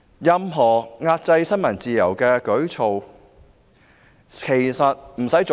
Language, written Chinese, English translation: Cantonese, 任何壓制新聞自由的舉措，一次也嫌多。, When it comes to any initiative to suppress press freedom one is too many